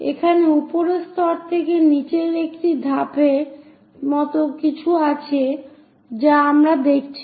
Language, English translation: Bengali, Here, there is something like a step from top level all the way to down we are seeing